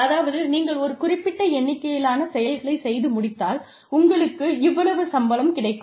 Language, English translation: Tamil, So, if you achieve a certain number of things, you will get this much pay